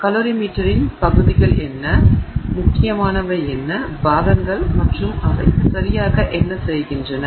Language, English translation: Tamil, What are the parts of the calorie meter and what are the critical parts and what exactly they do